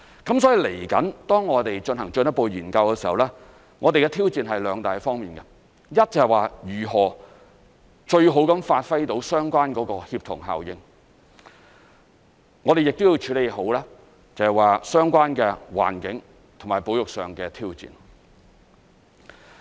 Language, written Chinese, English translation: Cantonese, 所以，接下來當我們進行進一步研究時，我們的挑戰是兩大方面，一是如何最好地發揮相關的協同效應，我們亦要處理好相關環境和保育上的挑戰。, For that reason when we conduct the further study in the next step we will face two major challenges . The first is how to achieve best synergies and the second is how to properly deal with the environmental and conservation challenges